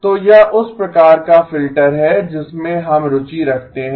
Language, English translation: Hindi, So this is the type of filter that we are interested in